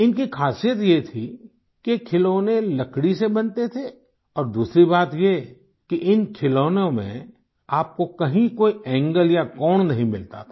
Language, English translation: Hindi, The speciality of these toys these were made of wood, and secondly, you would not find any angles or corners in these toys anywhere